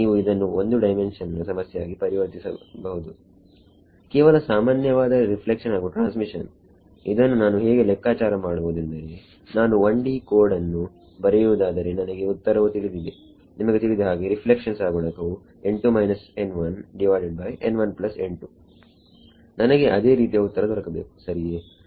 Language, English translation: Kannada, You can make it a 1 dimensional problem, just normal reflection and transmission I can calculate that if I were writing a 1D code, I know the answer you know reflection coefficient is n 2 minus n 1 by n 1 plus n 2 I should get the same answer there right